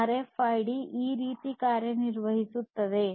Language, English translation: Kannada, So, this is how the RFID basically works